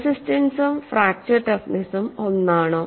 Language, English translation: Malayalam, Whether the resistance and fracture toughness are they same